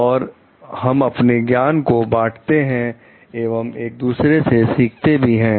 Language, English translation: Hindi, And also we share our knowledge and also we have we can learn from others